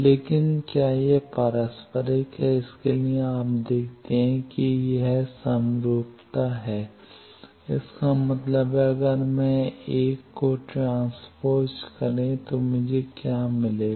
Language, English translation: Hindi, But whether it is reciprocal, for that you see that is it symmetry; that means, if I transpose this1 what I will get